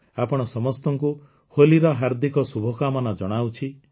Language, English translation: Odia, Happy Holi to all of you